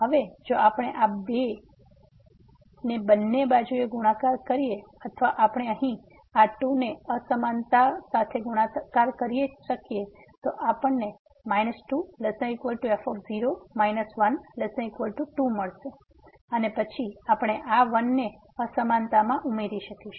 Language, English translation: Gujarati, Now, if we multiply this to both the sides or that we can multiply to this inequality here we will get minus less than equal to minus , less than equal to and then we can add this to the inequality